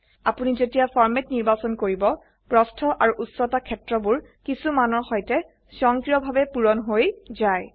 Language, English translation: Assamese, When you select the format, the Width and Height fields are automatically filled with the default values